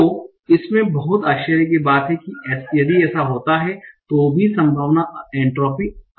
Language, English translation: Hindi, So if it is very, very surprising, then the entropy will be high